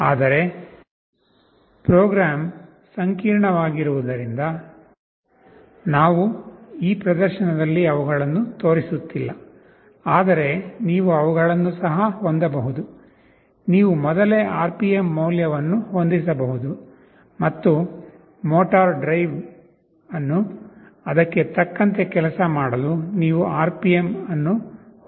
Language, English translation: Kannada, But, because the program will become complex, we are not showing those in this demonstration, but you can also have it; you can set a preset RPM value, and you can adjust the RPM adjust the motor drive to make it work accordingly